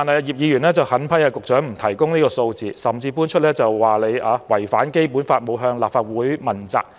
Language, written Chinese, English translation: Cantonese, 葉議員狠批局長不提供有關數字，甚至說局長違反《基本法》，沒有向立法會負責。, Mr IP severely criticized the Secretary for not providing the figures and even said that the Secretary had contravened the Basic Law in failing to give an account to the Legislative Council